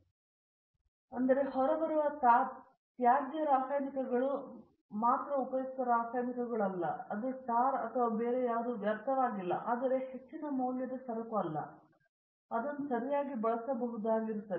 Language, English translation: Kannada, Not only useful chemicals even the waste chemicals that come out ok for example, that tar or something other it is not waste, but it is not a high prized commodity, they can used properly if they can